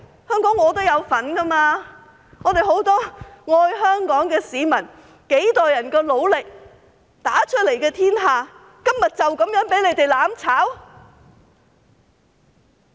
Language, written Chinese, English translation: Cantonese, 香港我也有份，很多愛香港的市民經過幾代人的努力打出來的天下，今天就這樣被他們"攬炒"？, I also have a share in Hong Kong . Will the society built by generations of citizens who love Hong Kong be destroyed by them today just like that?